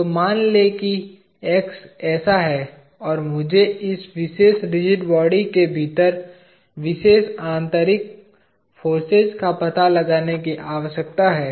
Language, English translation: Hindi, So, let us say X is like this, and I need to find out the particular internal forces within this particular rigid body